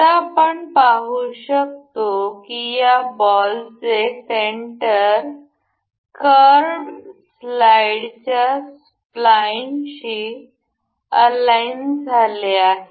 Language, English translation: Marathi, Now, we can see that the center of this ball is aligned to this spline of the slide; curved slide